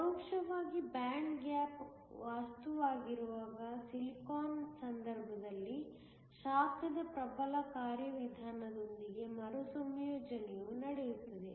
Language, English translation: Kannada, In the case of silicon which is an indirect band gap material the recombination takes place with the dominant mechanism being heat